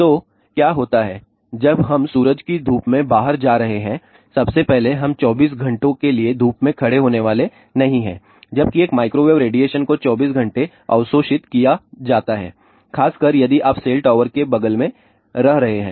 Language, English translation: Hindi, So, what happens when sun we are going outside in the sun first of all we are not going to stand in the sun for 24 hours, ok whereas, a microwave radiation is absorbed 24 hours especially if you are living next to the cell tower